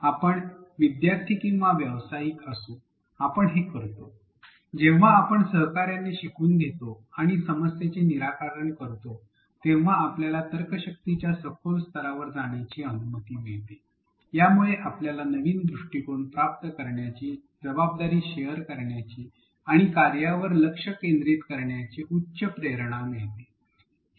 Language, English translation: Marathi, And we do this whether we are students or professionals, what happens when we collaboratively learn and do problem solving is that it allows us to go into deeper levels of reasoning, it allows us to gain new perspectives, share responsibilities and also gain higher motivation to be focused on the task